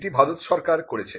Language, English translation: Bengali, This is done by the Government of India